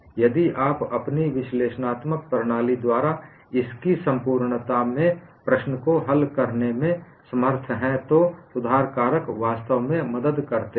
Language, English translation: Hindi, If you are unable to solve the problem in all its totality by your analytical methodology, correction factors really help